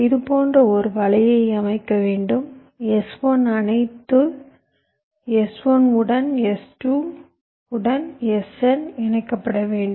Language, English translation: Tamil, so i have to layout a net like this: the s one has to be connected to all s one, s two to s n